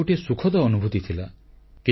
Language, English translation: Odia, It was indeed a delightful experience